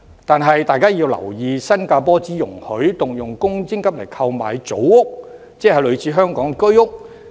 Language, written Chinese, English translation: Cantonese, 但大家要留意，新加坡只容許動用公積金購買組屋，即類似香港的居屋。, We must note that Singaporeans are only allowed to use MPF to buy Housing Development Board HDB flats which are similar to the Home Ownership Scheme HOS flats in Hong Kong